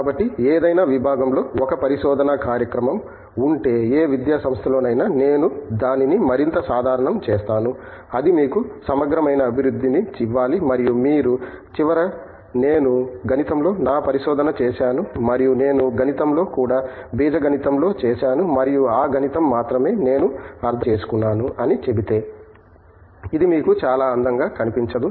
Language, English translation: Telugu, So, if a research program in any discipline, at any academic institution I making it more general is must give you a holistic development and at the end of it if you say, I have done my research in mathematics and I only that also in mathematics I have done it in algebra and I only understand is maths, it does not make you look too good